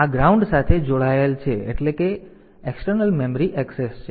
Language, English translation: Gujarati, So, this is connected to ground meaning that is the external memory access